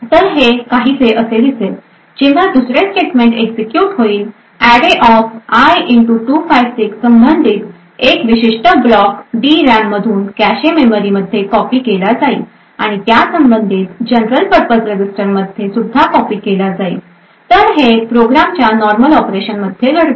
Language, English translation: Marathi, So it would look something like this, when the second statement gets executed a particular block corresponding to array[i * 256] would be copied from the DRAM into the cache memory and also be copied into the corresponding general purpose register, now this is what happens during the normal operation of the program